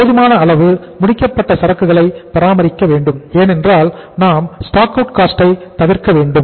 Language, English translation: Tamil, Maintains sufficient finished goods inventory because we have to avoid the stock out cost also